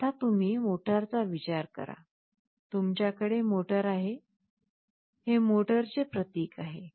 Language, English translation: Marathi, Now you think of the motor, you have the motor out here; this is the symbol of a motor